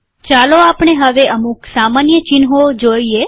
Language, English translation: Gujarati, Let us now look at some common symbols